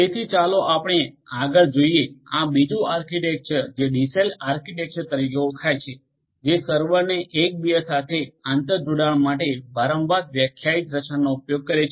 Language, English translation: Gujarati, So, let us look further there are there is this another architecture which is known as the DCell architecture which uses a recursively defined structure to interconnect the server